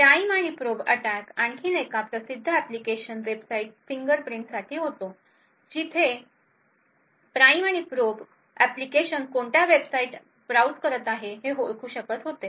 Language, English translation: Marathi, Another famous application of the prime and probe attack was is for Website Fingerprinting where the Prime and Probe application can identify what websites are being browsed